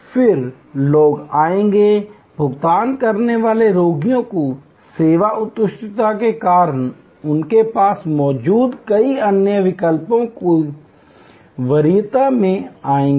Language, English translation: Hindi, Then, people would come, paying patients would come in preference to many other options they might have had, because of the service excellence